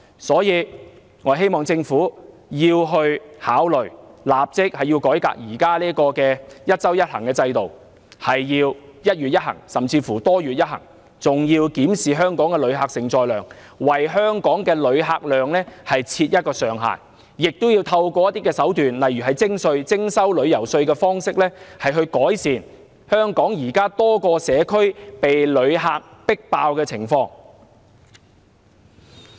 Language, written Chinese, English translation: Cantonese, 所以，我希望政府考慮立即改革現時"一周一行"的制度，改為"一月一行"，甚至"多月一行"，還要檢視香港的旅客承載量，為香港的旅客量設上限，亦要運用一些手段，例如徵收旅遊稅，以改善香港現時多個社區被旅客迫爆的情況。, Therefore I hope the Government will consider reforming the current one trip per week system immediately . It should be changed to one trip per month or even one trip per several months . The Government should also examine Hong Kongs tourism carrying capacity and set a ceiling for the number of inbound visitors